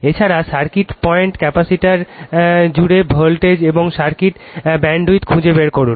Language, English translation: Bengali, Also find the circuit current, the voltage across the capacitor and the bandwidth of the circuit right